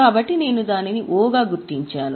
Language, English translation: Telugu, So, we have marked it as O